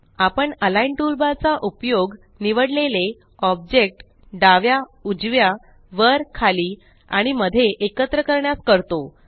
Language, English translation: Marathi, We use the Align toolbar to align the selected object to the left, right, top, bottom and centre